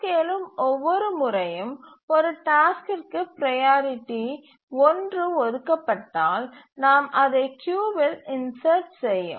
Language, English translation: Tamil, So, priority one, if it is assigned to a task, each time the task arises, we insert it in the queue